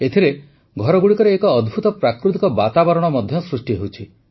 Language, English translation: Odia, This has led to creating a wonderful natural environment in the houses